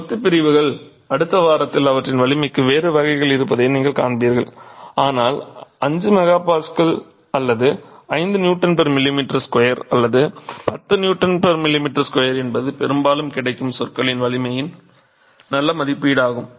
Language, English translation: Tamil, Masonry units you will see in the next week that we have a different classification for their strengths but 5 megapascal or 5 Newton per millimeter square or a 10 Newton per millimeter square is a fairly good estimate of the strength of bricks that are predominantly available